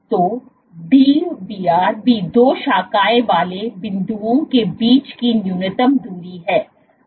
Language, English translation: Hindi, So, Dbr is also the minimum distance between two branching points